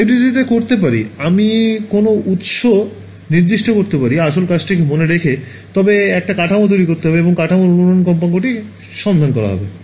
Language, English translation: Bengali, I can in FDTD I can specify a source after that what supposing my task someone gives me structure and says find out the resonate frequency of the structure